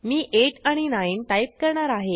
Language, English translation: Marathi, I will enter 8 and 9